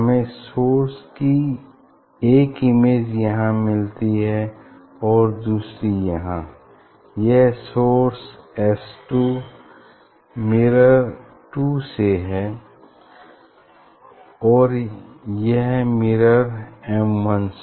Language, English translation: Hindi, you will see the source image one is here, and another is I think here, this source is from mirror 2 S 2 and this source will be from mirror M 1